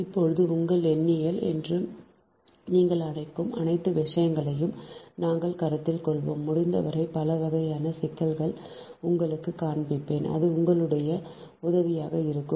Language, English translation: Tamil, now we will consider all this thing you are what you call that, your numericals and ah, as many as possible i will show you ah, such that different type of problem, ah, such that it will be helpful for you